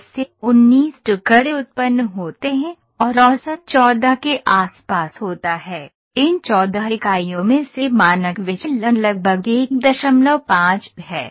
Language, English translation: Hindi, From 10 to 19 pieces are produced and average is around 14, out of these 14 units the standard deviation is 1